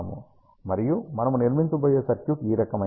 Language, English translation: Telugu, And the circuit that we are going to build is of this type